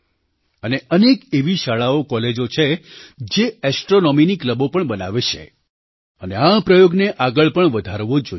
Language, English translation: Gujarati, And there are many such schools and colleges that form astronomy clubs, and such steps must be encouraged